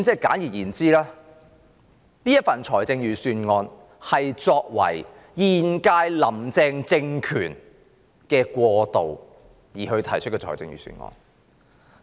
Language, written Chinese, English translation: Cantonese, 簡而言之，這顯然是為了現屆"林鄭"政權過渡而提出的預算案。, Put simply this Budget obviously paves the way for the transition of the Carrie LAM Government